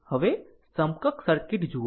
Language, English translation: Gujarati, Now, look at the equivalent circuit